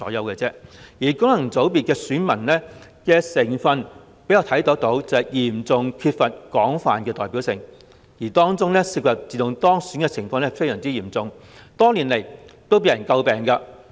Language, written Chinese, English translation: Cantonese, 功能界別的選民成分嚴重缺乏廣泛代表性，自動當選的情況亦非常普遍，多年來均為人詬病。, The lack of broad representativeness in the composition of electors and the fact that many candidates are returned uncontested have long been the subjects of criticism